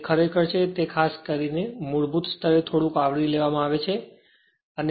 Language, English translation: Gujarati, So, it is actually what particularly as at the basic level only little bit will be covered right